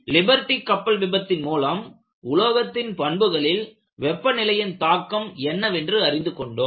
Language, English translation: Tamil, And Liberty ship failure brought out the importance of temperature effect on material behavior